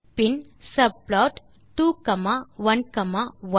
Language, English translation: Tamil, Then subplot 2 comma 1 comma 1